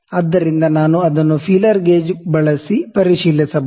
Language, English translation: Kannada, So, I can check it using the feeler gauge as well